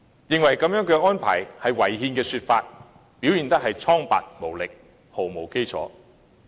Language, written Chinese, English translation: Cantonese, 認為這樣的安排是違憲的說法，理據蒼白無力，毫無基礎。, The argument that such an arrangement is unconstitutional is weak insubstantial and groundless